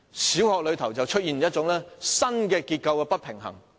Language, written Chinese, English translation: Cantonese, 小學出現新的結構不平衡的情況。, A new structural imbalance will appear in primary schools